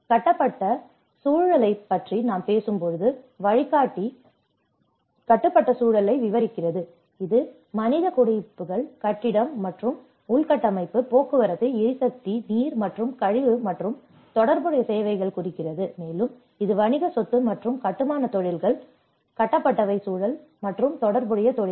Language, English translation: Tamil, When we talk about the built environment, the guide describes the built environment which refers in general terms to human settlements, building and infrastructure, transport, energy water, and waste and related services and it also includes the commercial property and construction industries and the built environment and the related professions